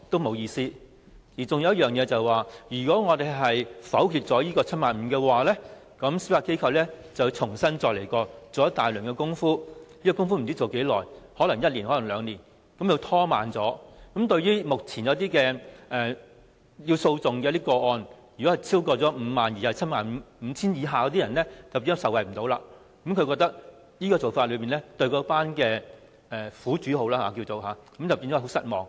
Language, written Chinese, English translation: Cantonese, 還有一點，如果我們否決 75,000 元的限額，司法機構便會重新研究，做一大輪工夫，這些工夫不知何時做完，可能要一兩年時間，這樣目前在審裁處審理介乎 50,000 元與 75,000 元的申索，便不能受惠，他覺得這樣會令有關苦主非常失望。, Another point was that if we negatived the 75,000 limit the Judiciary would have to study the issue again and the time required was unknown which might take one or two more years or even longer . In that case claims between 50,000 and 75,000 could not be handled in SCT as proposed bringing great disappointment to claimants